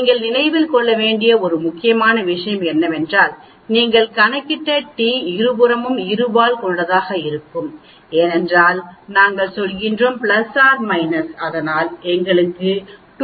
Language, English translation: Tamil, One important point you need to remember is the t which you calculated will be for two tailed both the sides because we are talking about plus or minus that is why we get 2